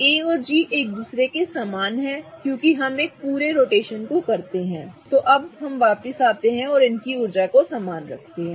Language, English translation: Hindi, A and G are the same as each other because we complete one full rotation and get back to G